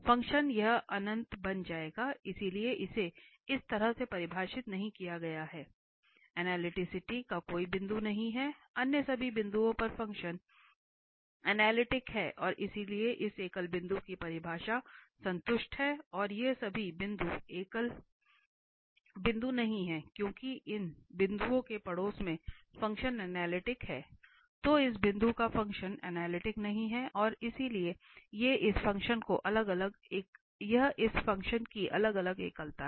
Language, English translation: Hindi, The function will become this infinity, so it is not defined as such so there is no point of analyticity, at all other points the function is analytic and therefore, we, the definition of this singular point is satisfied and all these points are singular point, because in the neighbourhood of these points the function is analytic, only at this point the function is not analytic, and therefore these are the isolated singularities of this function